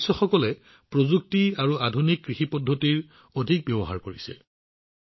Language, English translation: Assamese, Its members are making maximum use of technology and Modern Agro Practices